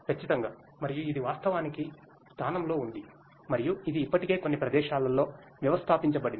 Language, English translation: Telugu, Absolutely and it is actually in place and like it is already in installed at few places